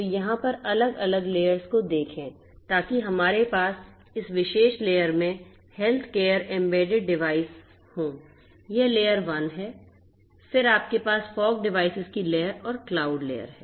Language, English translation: Hindi, So, look at the different layers over here so we have the healthcare embedded devices in this particular layer this is layer 1, then you have the fog devices layer and the cloud layer